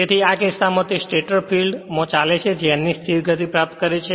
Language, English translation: Gujarati, Now if it rotate it runs in the direction of the stator field and acquire a steady state speed of n right